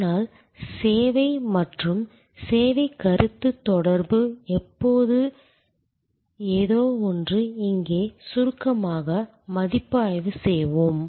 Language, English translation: Tamil, But, service strategy and service concept correlation is something, let us briefly review here